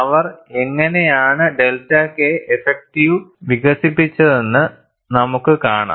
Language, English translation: Malayalam, And we will see, how they developed delta K effective